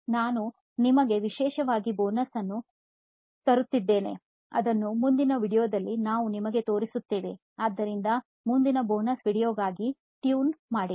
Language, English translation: Kannada, And now we have a special bonus for you which we’ll show it you in the next video, so stay tuned for the next bonus video